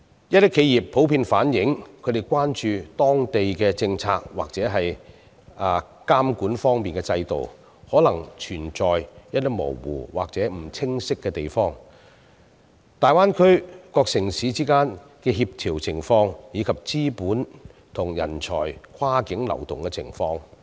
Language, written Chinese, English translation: Cantonese, 一些企業普遍反映，他們關注當地的政策或監管制度，可能存在一些模糊或不清晰的地方，還有大灣區各城市之間的協調情況，以及資本和人才跨境流動的情況。, Some enterprises are generally concerned that there might be some uncertainties or ambiguities in the policies or regulatory systems implemented in the Greater Bay Area and the coordination between various cities in the Greater Bay Area as well as the cross - boundary flow of capital and talents are also some issues of concern